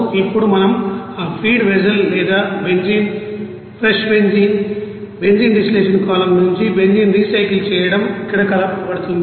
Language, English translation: Telugu, Now if we consider that feed vessel or that benzene fresh benzene and you know, recycle benzene from the benzene distillation column is mixed here